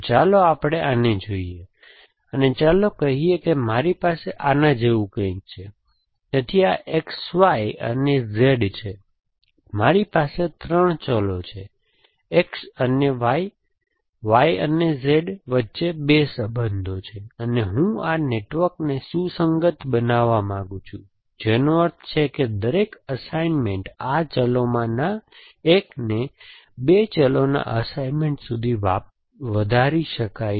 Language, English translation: Gujarati, Let us see this one, and let us say I have something like this, so this is X Y and Z, so I have 3 variables, 2 relations between X and Y, Y and Z and I want to make this network our consistence which means that every assignment one of these variables can be extended to an assignment of 2 variables